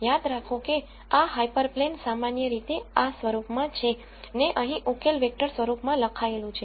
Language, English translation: Gujarati, Remember that this hyper plane, would typically have this form here the solution is written in the vector form